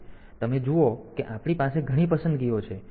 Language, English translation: Gujarati, So, you see that we have got many choices